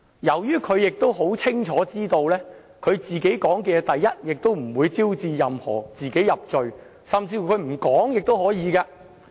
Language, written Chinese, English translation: Cantonese, 由於他清楚知道自己的供詞不會招致自己入罪，所以他甚至不回答問題也是可以的。, Given that he knows his testimony will not lead to self - incrimination he can refuse to answer our questions